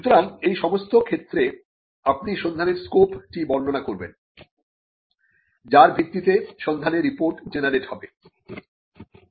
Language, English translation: Bengali, So, in all these cases, you would be describing the scope of the search based on which the search report will be generated